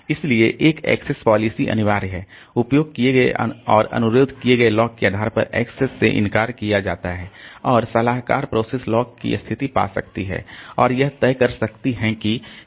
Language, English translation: Hindi, Access policy is so one is mandatory so access is denied depending on the locks held and requested and advisory processes can find status of locks and decide what to do